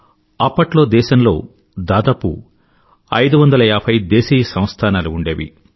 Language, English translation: Telugu, There existed over 550 princely states